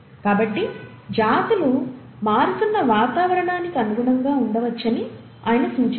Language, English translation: Telugu, So he suggested that the species can adapt to the changing environment